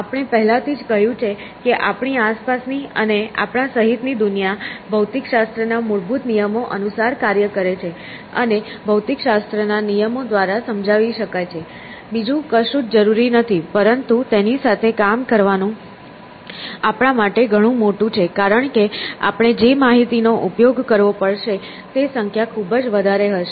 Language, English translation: Gujarati, So, we have already said that the world around us and including us operates according to and can in principle be explained by the fundamental laws of physics; nothing else is really needed, but it is too big for us to work with, because the number of amount of information we would have to use would be too much essentially